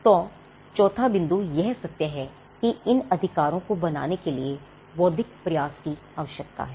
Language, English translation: Hindi, So, the fourth point is the fact that it requires an intellectual effort to create these rights